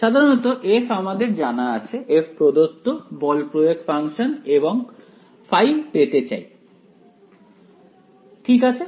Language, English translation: Bengali, Typically, f is known to you, f is the given forcing function and I want to find out phi ok